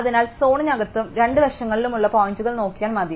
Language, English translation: Malayalam, So, it is enough to look at points inside the zone on both sides